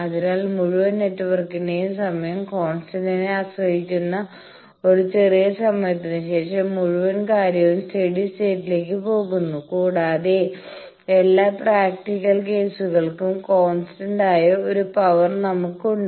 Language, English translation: Malayalam, So, after a short time that depends on the time constant of the whole network the whole thing goes to steady state and we have a power which is more or less for all practical cases constant